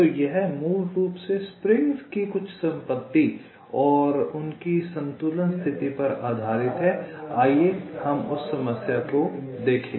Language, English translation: Hindi, so it is basically based on some property of springs and their equilibrium condition